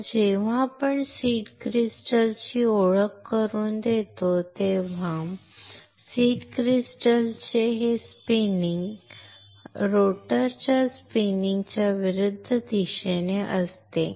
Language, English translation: Marathi, Now, when we introduce the seed crystal and this spinning of seed crystal is in opposite direction to the spinning of the rotor